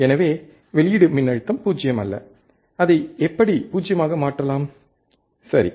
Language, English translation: Tamil, So, is the output voltage is not 0, how we can make it 0, right